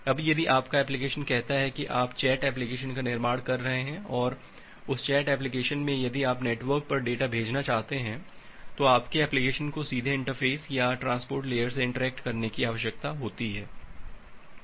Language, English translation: Hindi, Now if your application say if you are building a chat application and in that chat application if you want to send data over the network then your application need to directly interface or directly interact with the transport layer